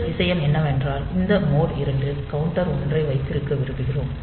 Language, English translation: Tamil, So, the first thing is that we want to have this mode 2 counter 1